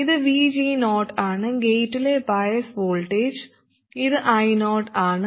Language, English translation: Malayalam, This is at VG 0, some bias voltage at the gate, and this is I0